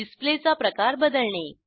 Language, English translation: Marathi, Change the style of the display